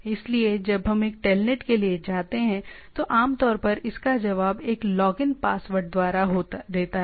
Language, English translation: Hindi, So, when we you go for when we do a telnet, it usually replies it prompts back by a login password